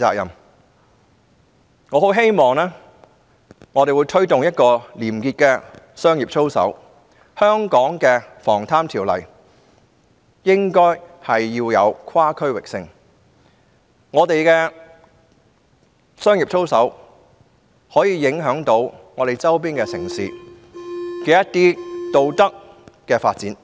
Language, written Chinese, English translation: Cantonese, 因此，我很希望本港在推動廉潔的商業操守之餘，亦應賦予《防賄條例》跨區域性的約束力，因為我們的商業操守將影響周邊城市的道德發展。, Hence I do hope that PBO of Hong Kong will also be conferred with cross - boundary binding power while business ethics are being promoted in Hong Kong since our standards of business conduct will have implications on the moral development in peripheral cities